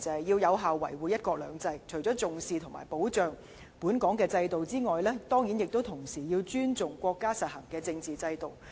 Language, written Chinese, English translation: Cantonese, 要有效維護"一國兩制"，除了重視及保障本港制度外，同時要尊重國家實行的政治制度。, To effectively safeguard one country two systems it is necessary to attach importance to and safeguard the Hong Kong system . In addition it is also necessary to respect the political system instituted in the Mainland